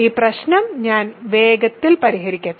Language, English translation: Malayalam, So, let me quickly solve this problem